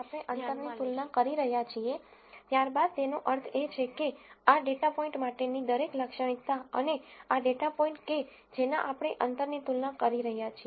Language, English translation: Gujarati, So, since we are comparing distance, then that basically means every at tribute for this data point and this data point we are comparing distances